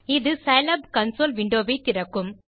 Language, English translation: Tamil, This will open the Scilab console window